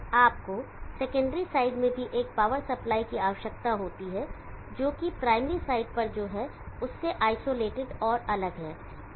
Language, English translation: Hindi, You need to have a power supply in the secondary side also, that which is isolated and different from what is on the primary side